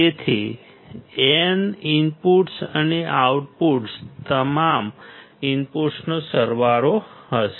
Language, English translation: Gujarati, So, n inputs and the output will be summation of all the inputs